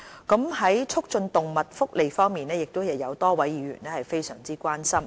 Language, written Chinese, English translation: Cantonese, 在促進動物福利方面，亦有多位議員非常關心。, The promotion of animal welfare is also an issue of enormous concern to many Members